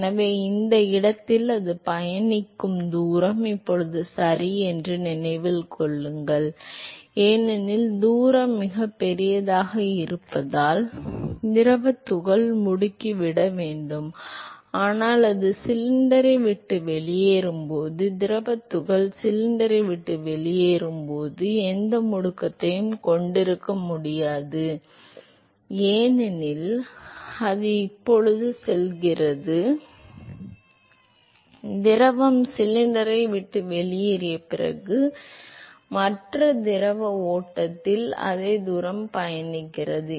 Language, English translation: Tamil, So, remember that the distance that it travels along this location ok now because the distance is much larger the fluid particle has to accelerate, but then when it leaves the cylinder; when the fluid particle leaves the cylinder it has it cannot have any acceleration because it is now going to it has its travelling the same distance as that of the other fluid stream after the fluid has left the cylinder